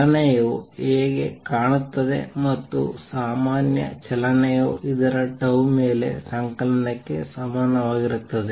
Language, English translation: Kannada, This is how is motion looks and the general motion is equal to summation over tau of this